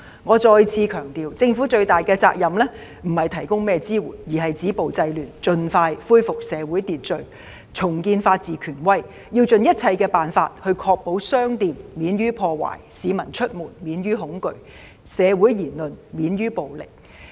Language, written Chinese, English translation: Cantonese, 我再次強調，政府最大的責任不是提供甚麼支援，而是止暴制亂，盡快恢復社會秩序，重建法治權威，要盡一切辦法，確保商店免遭破壞，市民出門免於恐懼，社會言論免受暴力威脅。, The greatest responsibility of the Government is not providing financial supports . Its greatest responsibility is to stop violence and curb disorder to expeditiously restore social order and to re - establish the authority of the rule of law . It should try every means to protect shops from vandalism save people from fear when they go out and ensure that the freedom of expression in the community is under no threat of violence